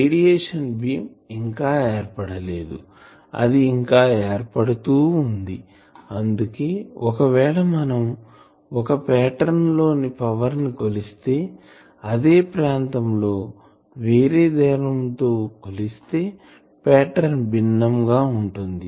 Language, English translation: Telugu, The radiation beam that has not been formed, it is still forming that is why if you measure there a pattern that how the power is there and in that zone in another distance if you measure you will see a different pattern